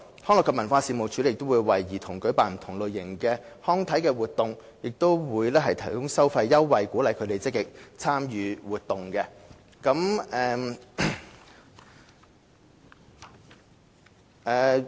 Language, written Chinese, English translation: Cantonese, 康樂及文化事務署亦會為兒童舉辦不同類型的康體活動，並會提供收費優惠，以鼓勵他們積極參與活動。, The Leisure and Cultural Services Department will also organize different types of recreational activities for children and offer fee concessions as a means of encouraging them to actively participate in activities